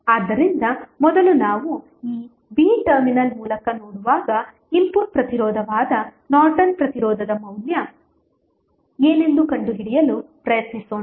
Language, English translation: Kannada, So, first let us try to find out what would be the value of Norton's resistance that is input resistance when you will see from this through this a, b terminal